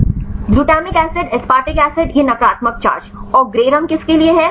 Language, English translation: Hindi, Glutamic acid aspartic acid this was the negative charge and the gray for